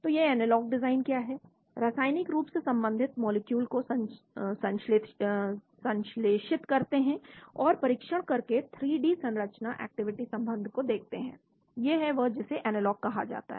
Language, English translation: Hindi, So what is this analog design, chemically related molecules are synthesized and tested to develop 3D structure activity relationship, that is what is called analog